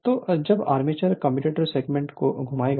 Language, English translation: Hindi, So, when armature will rotate the commutator segment